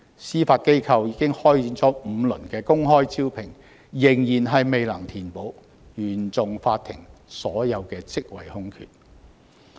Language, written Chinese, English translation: Cantonese, 司法機構已開展5輪公開招聘，但仍未能填補原訟法庭所有職位空缺。, The Judiciary has yet to fill all vacancies at the CFI level despite five rounds of open recruitment